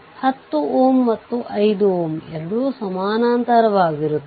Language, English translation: Kannada, So, this 2 ohm and 6 ohm, this 2 are in parallel right